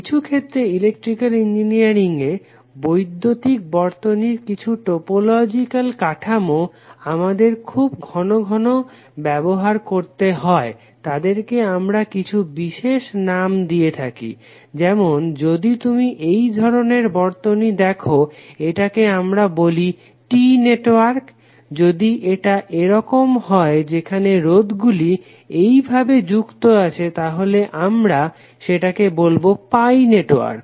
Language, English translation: Bengali, Sometimes the topological structure in the electrical circuit occur so frequently that in Electrical Engineering we have given them some special names, like if you see circuit like this we called them as T network, if it is like this were you may have resistor connected like this then it is called pi network